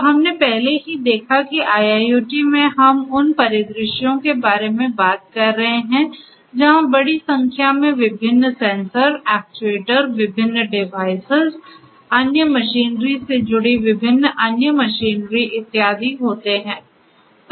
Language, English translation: Hindi, So, we already saw that in IIoT we are talking about scenarios where there are large numbers of different sensors, actuators, different devices, other machinery attached to these different other machinery and so on